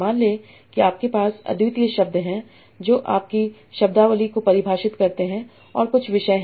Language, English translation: Hindi, Suppose there are unique words define your vocabulary and there are some topics